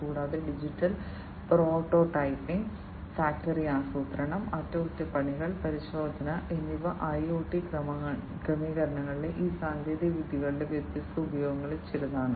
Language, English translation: Malayalam, And digital prototyping, factory planning, maintenance and inspection, these are some of the different uses of these technologies in the IIoT settings